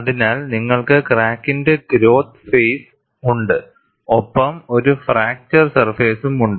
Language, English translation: Malayalam, So, you have a growth phase of the crack and there is a fracture surface